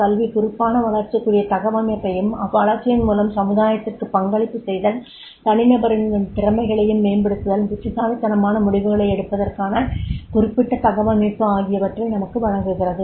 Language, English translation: Tamil, Education gives us the particular orientation to grow, to growth, to contribute to the society, to enhance the individual's ability and competencies to make the wise decisions